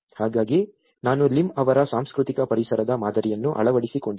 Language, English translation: Kannada, So, I have adopted Lim’s model of cultural environment